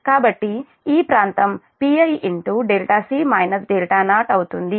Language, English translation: Telugu, this is pi